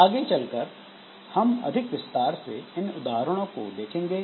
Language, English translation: Hindi, So, we'll be looking into more detailed example